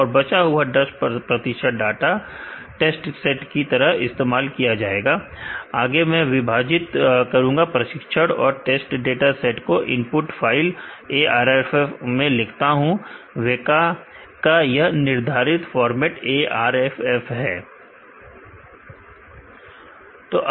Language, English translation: Hindi, And the remaining 10 percentage will be used as test dataset, further I am writing the split dataset training and test to a input file ARFF file, in the WEKA prescribed ARFF format